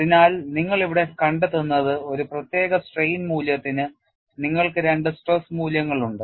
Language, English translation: Malayalam, So, what you find here is for a particular strain value you have 2 stress values